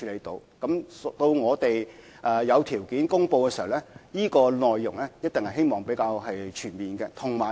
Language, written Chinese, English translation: Cantonese, 當我們有條件公布時，方案的內容一定是比較全面的。, When the time is right for us to make an announcement the plan will definitely be more comprehensive